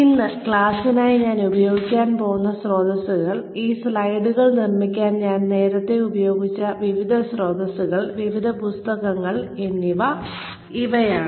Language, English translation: Malayalam, Sources, that I will be using, for the class today, are like, I have told you earlier, various sources, various books, that I have used, for making these slides